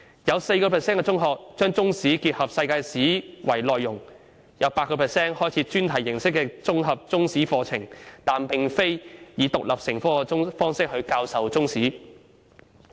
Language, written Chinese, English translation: Cantonese, 有 4% 的中學把中史結合世界史為內容；有 8% 的中學開設專題形式的綜合中史課程，但並非以獨立成科的方式教授中史。, Four percent of secondary schools teach Chinese history and world history as a combined subject; whereas 8 % of secondary schools offer an integrated Chinese History curriculum using a thematic approach but do not teach Chinese history as an independent subject